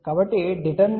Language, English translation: Telugu, So, what will be the determinant